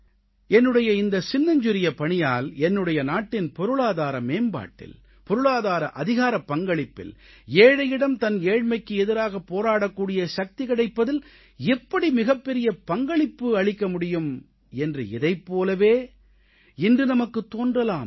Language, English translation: Tamil, In the same way today we may feel that even by making a tiny contribution I may be contributing in a big way to help in the economic upliftment and economic empowerment of my country and help fight a battle against poverty by lending strength to the poor